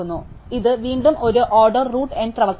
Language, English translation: Malayalam, So, again it is an order root N operation